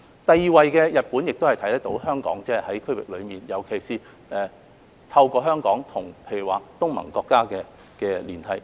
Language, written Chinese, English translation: Cantonese, 第二位是日本，反映香港在區域內所發揮的連繫作用，尤其是透過香港與例如東盟國家的連繫。, In the second place is Japan which shows that Hong Kong is playing the linking role especially linking with member countries of the Association of Southeast Asian Nations ASEAN